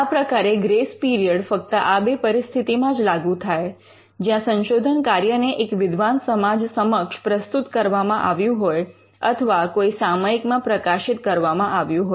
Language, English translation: Gujarati, So, the grace period can be extended in only these two circumstances for research work that is presented before the learned society or that is published in a journal